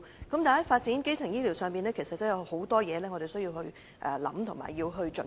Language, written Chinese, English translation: Cantonese, 但是在發展基層醫療上，其實有很多事需要思考和準備。, In the development of primary health care we actually have to take into account various issues and to make necessary preparation